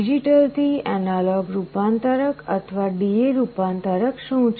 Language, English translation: Gujarati, What is a digital to analog converter or a D/A converter